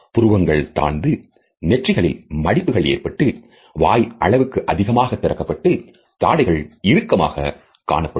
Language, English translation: Tamil, The eyebrows are lowered, the forehead is also creased, there is a wide exaggerated mouth and the chain is also tight